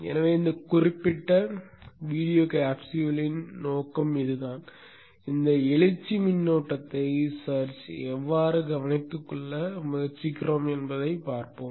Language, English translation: Tamil, So that is the objective of this particular video capsule and we shall see how we try to take care of this search current